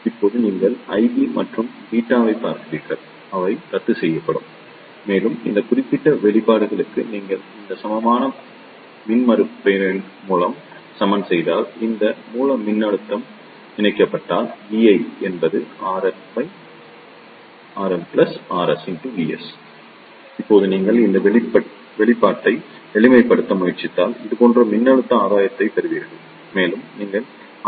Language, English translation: Tamil, Now, you see the I b and beta, they will cancel out and for this particular expressions vi will be if you equate this equivalent impedance by R in and this source voltage is connected here, then the voltage along the vi is given R in upon R in plus R s using this simple voltage divider rule